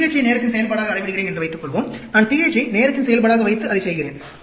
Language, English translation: Tamil, Suppose, I am measuring the pH as function of time, I put the pH as a function of time and do that